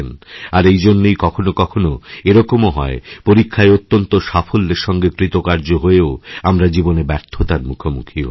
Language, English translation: Bengali, Thus, you may find that despite becoming brilliant in passing the exams, you have sometimes failed in life